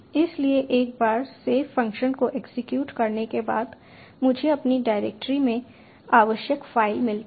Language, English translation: Hindi, so once save function has executed, i get the required file in my directory